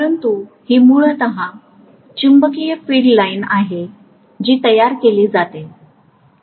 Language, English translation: Marathi, But this is essentially the magnetic field line that is the way it is produced